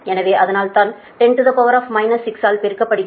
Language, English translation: Tamil, so ten to the power minus six